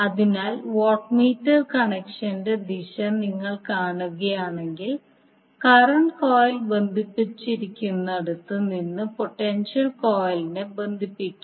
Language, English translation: Malayalam, So if you see the direction of the watt meter connection, you will connect potential coil from where the current coil is connected